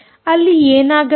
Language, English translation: Kannada, what should happen